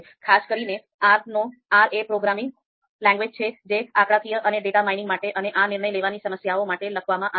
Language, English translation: Gujarati, So, R is a programming language written for you know statistical and data mining and also for decision making you know problems